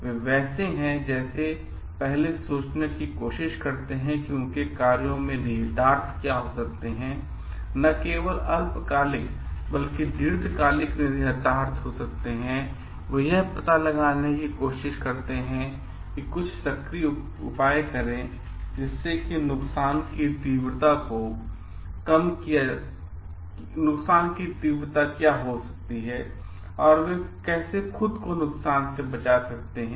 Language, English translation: Hindi, They are like, they first try to think what are could be the implications of their actions may be not only short term, but long term implications and they try to take some proactive measures to find out what could be the degree of harm and how they what they can do to protect themselves from the harm